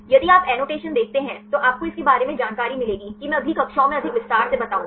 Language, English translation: Hindi, If you see the annotations you will get the information regarding that, that I will explain more detail in next classes